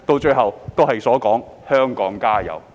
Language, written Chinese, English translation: Cantonese, 最後，便是"香港加油"。, The last one is Add oil Hong Kong